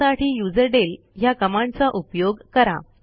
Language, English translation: Marathi, For this we use userdel command